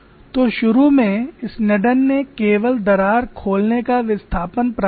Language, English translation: Hindi, So initially Sneddon obtained only the crack opening displacement